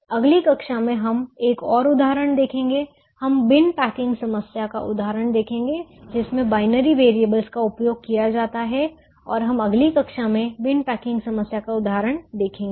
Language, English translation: Hindi, we will see the example of the bin packing problem, which used binary variables, and we will see the example of bin packing problem in the next class